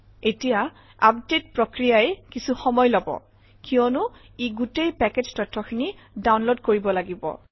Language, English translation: Assamese, So now the update process will take time because it has to download the entire package information